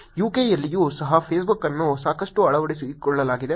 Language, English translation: Kannada, In UK also there has been a lot of adoption of Facebook